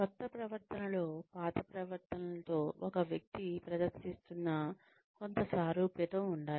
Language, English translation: Telugu, There should be some similarity, in the new behavior, with the old behaviors, that a person has been exhibiting